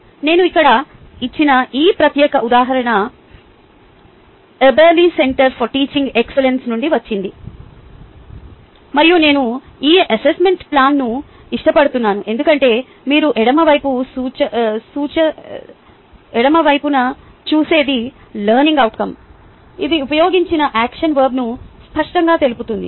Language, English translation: Telugu, this particular example which i have here is from ah eberly centre for teaching excellence, and i do like this ah assessment plan because what you see on the ah left hand side are the learning outcome, which clearly specifies the action verb used